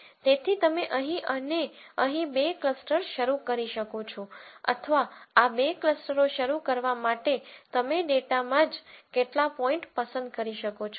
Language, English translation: Gujarati, So, you could start off two clusters somewhere here and here or you could actually pick some points in the data itself to start these two clusters